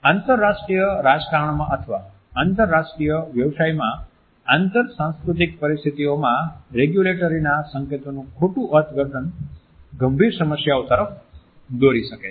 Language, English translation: Gujarati, A misinterpreted regulatory signal in cross cultural situations, in international politics or in international business can lead to serious problems